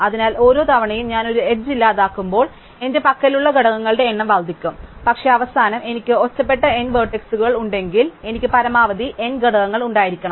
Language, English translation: Malayalam, So, each time I delete an edge, I increase a number of components I have, but then, I know that in the end, if I have n isolated vertices, I can have utmost n component